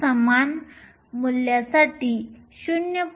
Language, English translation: Marathi, p of e for the same value is 0